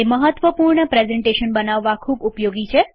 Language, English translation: Gujarati, It is used to create powerful presentations